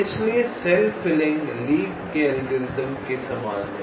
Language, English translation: Hindi, so the cell filling is similar to lees algorithm